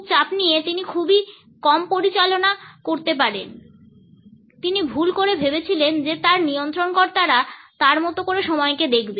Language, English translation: Bengali, So, stressed out he could hardly operate he mistakenly thought his hosts would look at time like he did